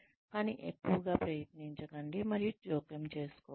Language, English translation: Telugu, But, do not try and interfere, too much